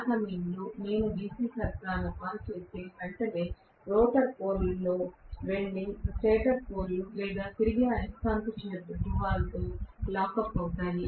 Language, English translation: Telugu, So at that point, if I turn on the DC supply, immediately the rotor poles will go and lock up with the stator pole or the revolving magnetic field poles